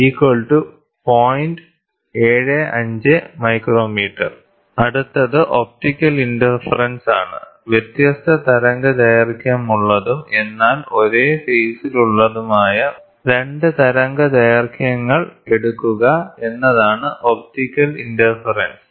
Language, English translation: Malayalam, So, next is optical interference, optical interference is we take 2 wavelengths of different amplitude, but of the same phase